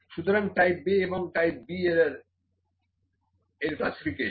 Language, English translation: Bengali, So, type A and type B errors are the classifications